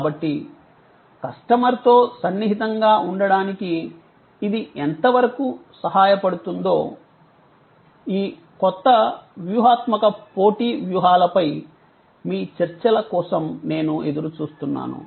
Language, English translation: Telugu, So, I would look forward to your discussions on these new forms of competitive strategy to what extend it helps us to get closer to the customer